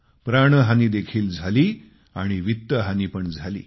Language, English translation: Marathi, There was also loss of life and property